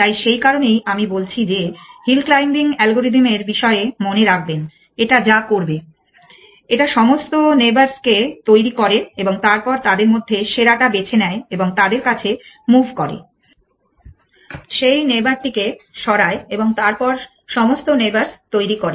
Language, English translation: Bengali, So, that is why I am saying remember the hill claiming algorithm what will be do it generates all the neighbors and then picks the best amongst them and moves to them moves that neighbor then generates all the neighbors